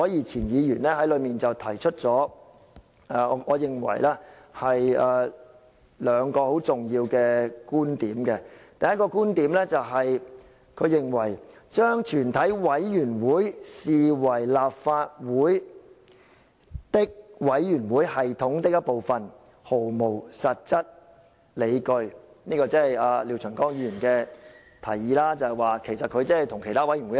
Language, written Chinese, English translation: Cantonese, 前議員吳靄儀提出兩個我認為很重要的觀點，第一個觀點是她認為"將全體委員會視為立法會的委員會系統的一部分，是毫無實際理據"，因為廖長江議員認為全體委員會跟其他委員會一樣。, First she says Mr Martin LIAO holds that the Committee of the Whole Council is the same as other committees but I hold that there is no solid ground to say that a Committee of the Whole Council is part of the committee system of the Legislative Council